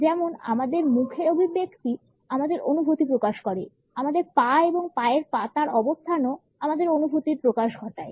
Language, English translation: Bengali, As our facial expressions reveal our feelings; our legs and position of the feet also communicates our feelings